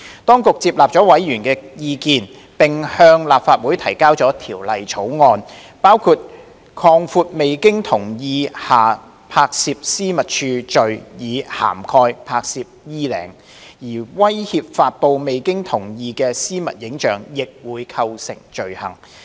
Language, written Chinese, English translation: Cantonese, 當局接納了委員的意見，並向立法會提交了條例草案，包括擴闊未經同意下拍攝私密處罪以涵蓋"拍攝衣領"，而威脅發布未經同意的私密影像亦會構成罪行。, The Administration accepted members opinions and introduced the Bill into the Legislative Council . While the expansion of the offence on non - consensual recording of intimate parts was included to cover down - blousing threat to distribute non - consensual intimate images would also constitute an offence under the Bill